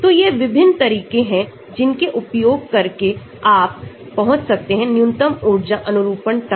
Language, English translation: Hindi, So, these are different approaches by which you can try to arrive at the minimum energy conformation